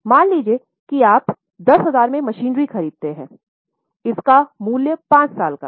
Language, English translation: Hindi, So, suppose a particular machine is purchased for 10,000